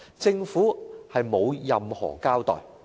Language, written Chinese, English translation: Cantonese, 政府沒有任何交代。, The Government has not given an account of that